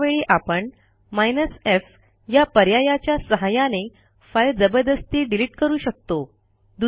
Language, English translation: Marathi, In this case we have the f option which can be used to force delete a file